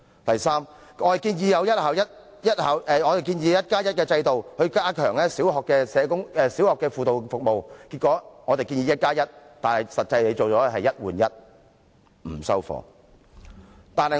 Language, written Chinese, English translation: Cantonese, 第三，我們建議設立"一加一"的制度，加強小學的輔導服務；結果，我們建議的是"一加一"，但政府提出的實際上只是"一換一"，我們並不接受。, Third we proposed establishing a one plus one system to enhance counselling service in primary schools . What we proposed was one plus one but in the end what the Government actually put forward was only one for one which we could not accept